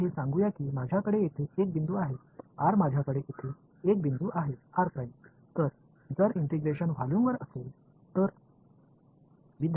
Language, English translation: Marathi, So, this is let us say I have one point over here r I have one point over here r prime, so, if the volume of integration if it